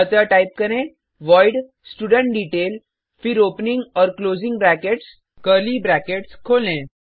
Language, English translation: Hindi, So let me type, void studentDetail then opening and closing brackets, curly brackets open